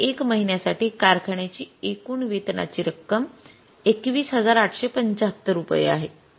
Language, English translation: Marathi, Total wage bill of the factory for the month amounts to rupees 21,875